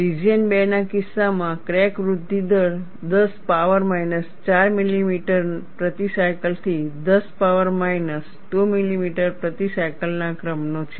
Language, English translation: Gujarati, And region 3, the crack growth rate is very high, of the order of 10 power minus 2 millimeter per cycle to 10 power minus 1 millimeter per cycle; that means, 0